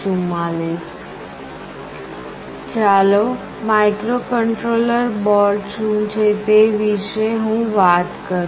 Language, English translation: Gujarati, Let me talk about what is a microcontroller board